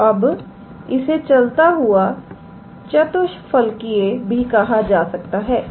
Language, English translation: Hindi, So, now they are also called as moving tetrahedral